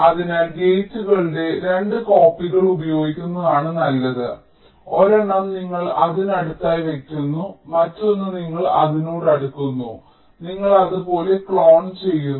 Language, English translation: Malayalam, so better to use two copies of the gates, one you place closer to that, other you place closer to that ok, and you just clone like that